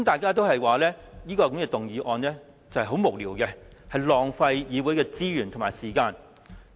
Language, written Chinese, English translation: Cantonese, 他們均認為這項議案十分無聊，會浪費議會資源和時間。, They all considered this motion a rather vague one which was only meant to waste the time and resources of this Council